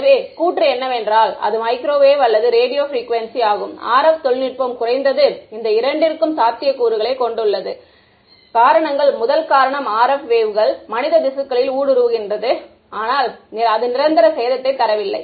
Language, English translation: Tamil, So, the claim is that microwave or Radio Frequency: RF technology it has the potential for at least these two reasons; the first reason is that RF waves can penetrate human tissues and not cause permanent damage